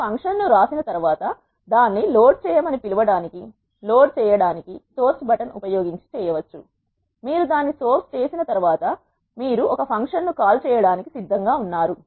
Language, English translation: Telugu, Once you will write the function you need to load the function to call it loading can be done using the source button, once you source it you are ready to call a function